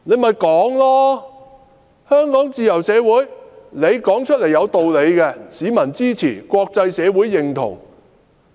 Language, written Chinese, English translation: Cantonese, 香港是自由社會，只要說出來是有道理的，市民會支持，國際社會也會認同。, Hong Kong is a free society . So long as the arguments sound sensible members of the public will support and the international community will give their consent